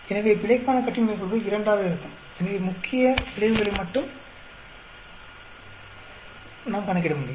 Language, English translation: Tamil, So, the error degrees of freedom will become 2; so we can calculate only the main effects